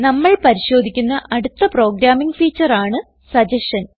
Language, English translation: Malayalam, The next programming feature we will look at is suggestion